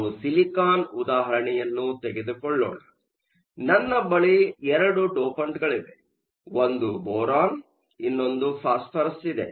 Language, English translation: Kannada, Let us take the case of silicon; I have 2 dopants; one is Boron, one is Phosphorous